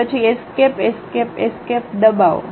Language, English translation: Gujarati, Then press Escape Escape Escape